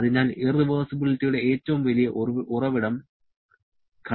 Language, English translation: Malayalam, So, friction is the biggest source of irreversibility